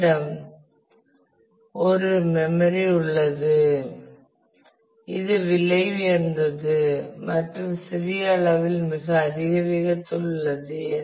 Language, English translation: Tamil, We have a memory which is expensive and which is small in size very high speed